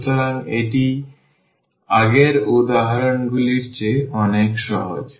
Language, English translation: Bengali, So, this is much simpler than the earlier examples